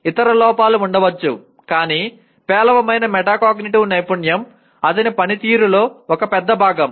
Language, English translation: Telugu, There could be other deficiencies but poor metacognitive skill forms an important big part of his performance